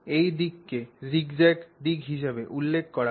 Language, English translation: Bengali, One direction is referred to as the zigzag direction